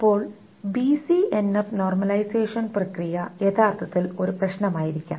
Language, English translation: Malayalam, Now the process of BCNF normalization may be actually a problem